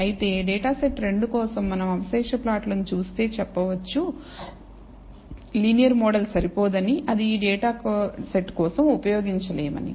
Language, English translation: Telugu, Whereas, for data set 2 by look at the residual plot we can conclude that a linear model is inadequate should not be used for this data set